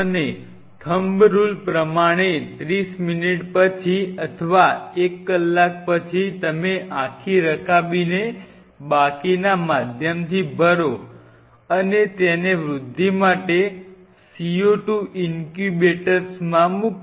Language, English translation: Gujarati, And the thumb rule is after 30 minutes or sometime even I have gone up to one hour you then fill the whole dish with rest of the medium and put it in the CO 2 incubator for growth